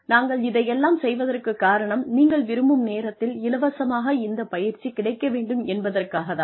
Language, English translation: Tamil, We are doing all this, so that, this training is available to you, free of cost, whenever you wanted